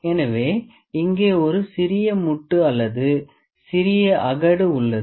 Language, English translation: Tamil, So, there is a small bump or some small trough here